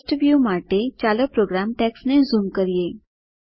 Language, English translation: Gujarati, Let me zoom into the program text to have a clear view